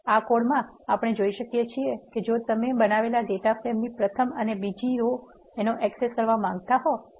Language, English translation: Gujarati, In this code we can see that if you want to access first and second row of the data frame that is created